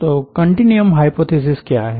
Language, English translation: Hindi, so what is the continuum hypothesis